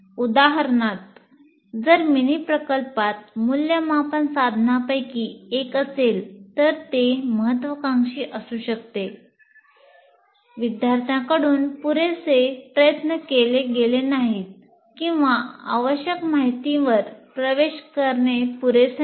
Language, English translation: Marathi, For example, if a mini project constitutes one of the assessment instruments, it may have been ambitious, generally happens, not enough effort was put in by the students, or access to the required information was not adequate